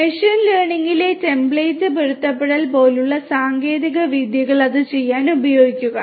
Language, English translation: Malayalam, Techniques such as template matching, in machine learning could be used for doing it